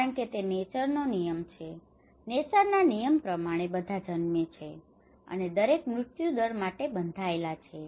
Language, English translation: Gujarati, Because it is a law of nature, as per the law of nature, everyone is born, and everyone is bound to die